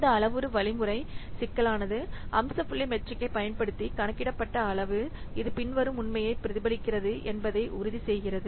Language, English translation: Tamil, So this parameter, this parameter algorithm complexity, it ensures that the computed size using the feature point metric, it reflects the following fact